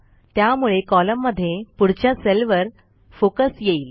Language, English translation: Marathi, This will shift the focus to the next cell in the column